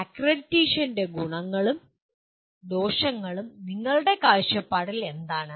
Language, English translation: Malayalam, What in your view are the advantages and disadvantages of accreditation